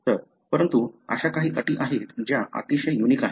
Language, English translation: Marathi, So, but there are conditions that are very unique